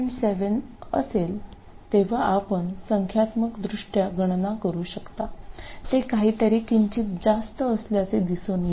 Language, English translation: Marathi, 7 you can calculate it numerically, it turns out to be something slightly higher and for 4